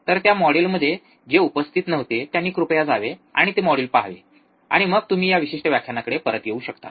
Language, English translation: Marathi, So, those who have not attended that module, please go and see that module, and then you could come back to this particular lecture